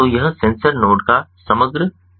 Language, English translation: Hindi, so this is the overall design of the sensor node